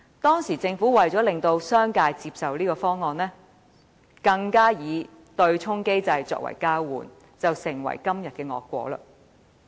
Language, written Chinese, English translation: Cantonese, 當時，政府為使商界接受強積金計劃，便以對沖機制作為交換，造成今日的惡果。, At that time the Government used the MPF offsetting mechanism to exchange for the business sectors endorsement sowing the seed for todays predicament